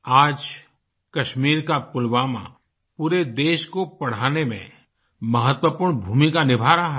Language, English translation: Hindi, Today, Pulwama in Kashmir is playing an important role in educating the entire country